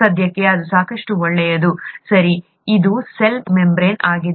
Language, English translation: Kannada, That is good enough for now, okay, that is what a cell membrane is